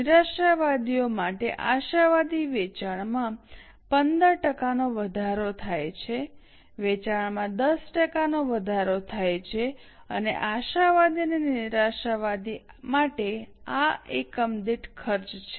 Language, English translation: Gujarati, For optimist sale increases by 15% for pessimist sale increases by 10% and this is the cost per unit for optimist and pessimistic